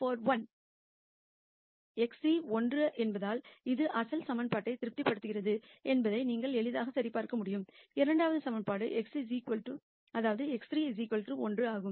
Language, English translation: Tamil, And you can easily verify that this satis es the original equation since x 3 is 1, the second equation is x 3 equal to 1